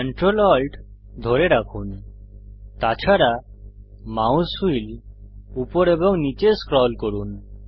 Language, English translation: Bengali, Hold ctrl, alt and scroll the mouse wheel up and down